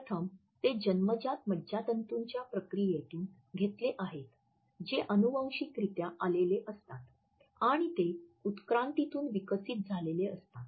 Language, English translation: Marathi, Firstly, they are acquired from innate neurological processes which are passed on genetically and which have developed through evolution